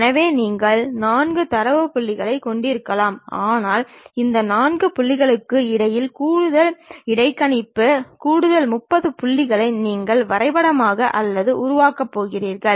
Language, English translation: Tamil, So, you might be having 4 data points, but these tangents you are going to map or construct extra interpolate, extra 30 more points in between these 4 points